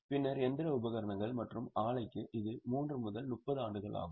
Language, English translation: Tamil, Then plant, machinery equipment, it is 3 to 30 years